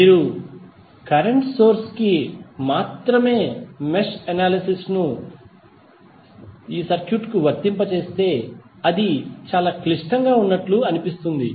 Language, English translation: Telugu, If you apply mesh analysis to the circuit only the current source it looks that it is very complicated